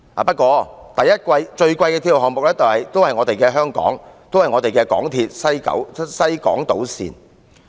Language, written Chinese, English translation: Cantonese, 不過，最昂貴的鐵路項目仍是香港的港鐵西港島線。, SCL has become the second most expensive railway project in the world but Hong Kongs MTR West Island Line still tops the list